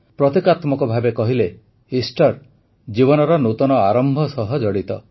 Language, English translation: Odia, Symbolically, Easter is associated with the new beginning of life